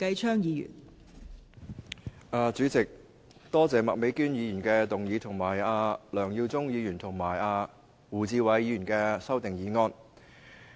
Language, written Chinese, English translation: Cantonese, 代理主席，多謝麥美娟議員提出議案及梁耀忠議員和胡志偉議員提出修正案。, Deputy President I would like to thank Ms Alice MAK for proposing the motion and Mr LEUNG Yiu - chung and Mr WU Chi - wai for proposing the amendments